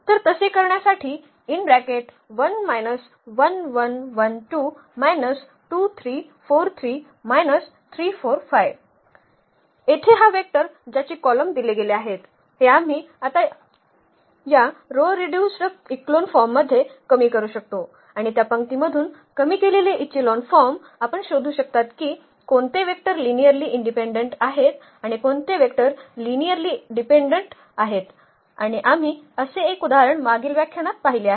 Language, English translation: Marathi, Having this vector here whose columns are the given vectors we can now reduce it to this row reduced echelon form and from that row reduced echelon form we can find out that which vectors are linearly independent and which vectors are linearly dependent and we have seen one such example before in previous lectures